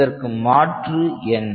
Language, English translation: Tamil, So, what is the alternative